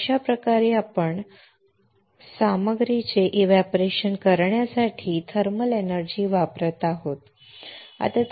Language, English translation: Marathi, That is how we are applying or we are using thermal energy to evaporate the material cool alright excellent